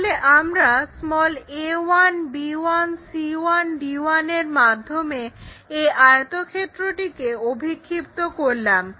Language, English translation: Bengali, Let us consider this a projection one a 1, b 1, c 1, d 1